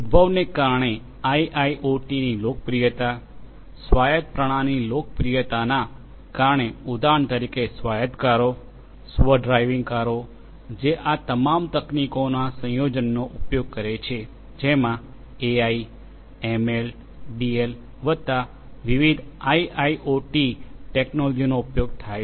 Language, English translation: Gujarati, Due to the advent, the popularity of IoT for instance, due to the popularity of autonomous systems for example, you know autonomous cars, self driving cars which basically use a combination of all of these technologies AI, ML, DL plus different different IIoT technologies are used